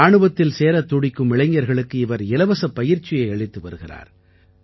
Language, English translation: Tamil, He imparts free training to the youth who want to join the army